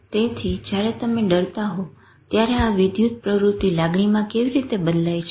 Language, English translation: Gujarati, So, when you feel fearful, then how does this electrical activity change to emotion